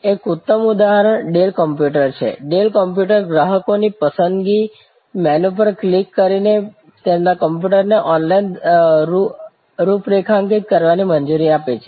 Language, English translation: Gujarati, A great example is Dell computer, Dell computer allowed customers to configure their computers online by clicking on selection menus